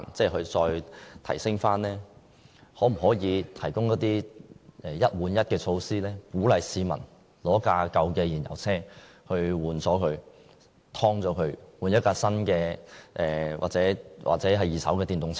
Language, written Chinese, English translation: Cantonese, 可否提供一換一的措施，鼓勵市民以舊有燃油車更換為新的或二手電動車？, Could the Government introduce a one - for - one replacement scheme to encourage car owners to replace their fuel - engined vehicles with new or second - hand electric vehicles?